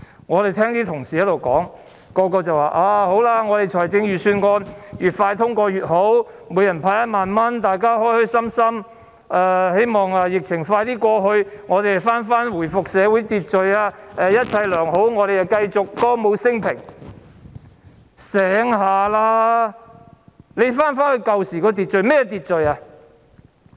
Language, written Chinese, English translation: Cantonese, 我們聽到同事發言說預算案越快通過越好，可向每人派發1萬元，大家開開心心，希望疫情盡快過去，我們回復社會秩序，一切良好，我們繼續歌舞昇平——清醒一點，你們要回到以往的秩序，那是甚麼秩序？, As we have heard some colleagues say that the sooner the Budget is passed the better as everyone will get the cash handout of 10,000 and everyone will be so delighted . It is hoped that the epidemic will be over very soon and our social order can be restored . Everything will be fine and we can continue to celebrate prosperity with singing and dancing―sober up